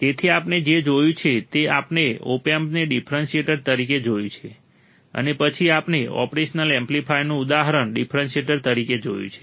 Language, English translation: Gujarati, So, what we have seen, we have seen the opamp as a differentiator, and then we have seen the example of operational amplifier as a differentiator all right